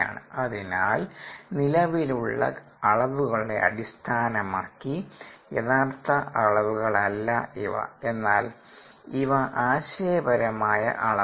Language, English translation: Malayalam, so these are not a actual quantities in terms of existing quantities, but these are conceptual quantities